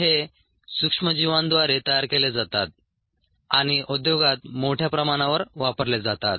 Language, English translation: Marathi, these are ah produced by microorganisms and are extensively used in the industry